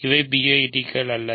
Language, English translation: Tamil, So, these are not PIDs